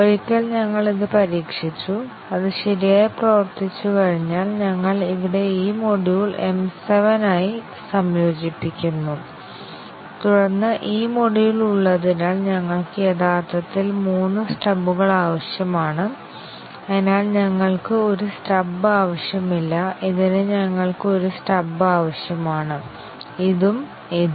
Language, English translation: Malayalam, And then once we have tested it, and made it to work correctly, then we integrate with M 7 here this module here, and then we would need actually three stubs because this module is there, and therefore, we do not need a stub for this we need a stub for only this one, this one and this one